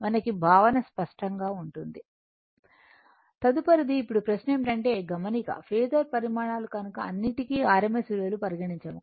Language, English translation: Telugu, Right Next is, now question is that note that in terms of phasor quantities are all rms value right